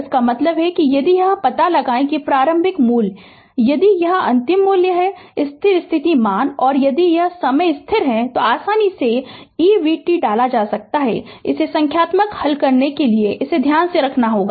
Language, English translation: Hindi, That means if you know, if you know the initial initial value, if you know the final value, the steady state values, and if you know the time constant, easily you can compute v t right, this you have to keep it in your mind for solving numerical